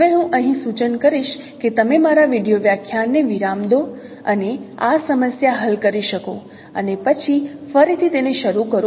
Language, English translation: Gujarati, Now here I would suggest that no you may give a pause to my video lecture and solve this problem and then again resume it